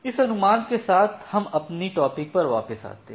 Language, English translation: Hindi, So, with this estimation, let us go back to our discussion